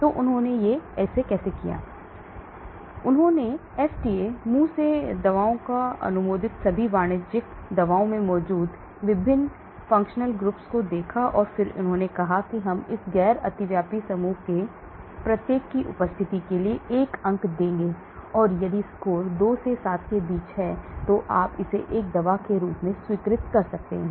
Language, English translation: Hindi, So how did they do it, they looked at the various functional groups present in all the commercial drugs approved in FDA, oral drugs and then they said we will give 1 point for presence of each of this non overlapping group and if the score is between 2 to 7, you can classify it as a drug